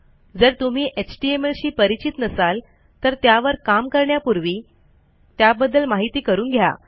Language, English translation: Marathi, If you havent learnt HTML already, it would be very useful to learn it before you start working with this